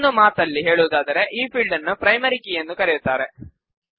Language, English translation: Kannada, In other words this field is also called the Primary Key